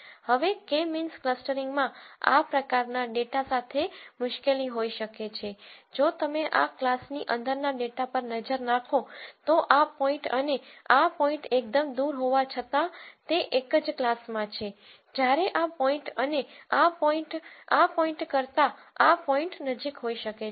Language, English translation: Gujarati, Now, K means clustering can have di culty with this kind of data simply be cause if you look at data within this class, this point and this point are quite far though they are within the same class whereas, this point and this point might be closer than this point in this point